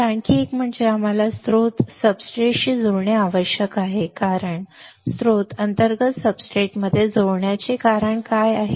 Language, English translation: Marathi, So, another one is why we had to connect this source to substrate what is the reason of connecting source to substrate internally right